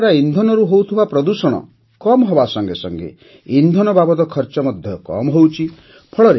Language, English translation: Odia, Due to this, whereas the pollution caused by fuel has stopped, the cost of fuel is also saved